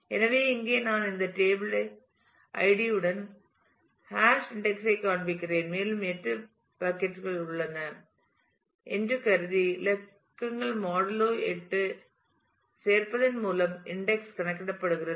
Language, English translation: Tamil, So, here I am I am showing the hash indexing with the ID of this table and the index is computed by adding the digits modulo 8 assuming that there are 8 buckets